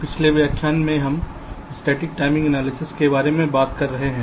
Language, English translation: Hindi, so in the last lecture we have been talking about static timing analysis